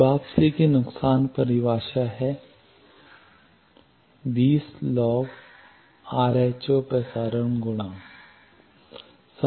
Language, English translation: Hindi, Return loss definition minus 20 log rho transmission coefficient